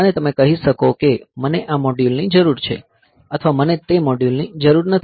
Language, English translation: Gujarati, And as per your requirement, so you can tell that I need this module or I do not need that module